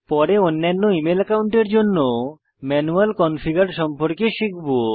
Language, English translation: Bengali, We shall learn about manual configurations for other email accounts in later tutorials